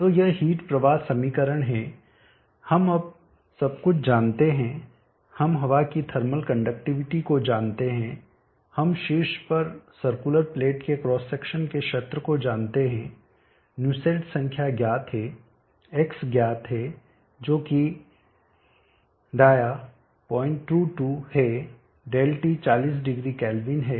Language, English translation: Hindi, T so this is the heat flow equation now we know everything we know the thermal conductivity of air we know the area of cross section of the circular plate on top nosslet’s number is known X is known which is the dia point 22